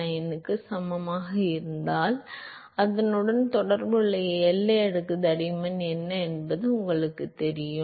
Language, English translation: Tamil, 99 tells you what is the corresponding boundary layer thickness right